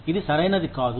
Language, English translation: Telugu, This is not right